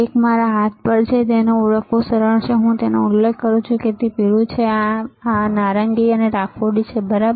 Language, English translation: Gujarati, So, one is on my hand, and it is easy to identify I can refer like it is yellow, right this is orange and gray, right